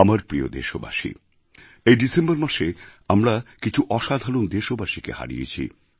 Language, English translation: Bengali, My dear countrymen, this December we had to bear the loss of some extraordinary, exemplary countrymen